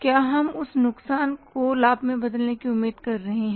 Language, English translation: Hindi, So, what is the extent of loss are we expecting to convert that loss into profit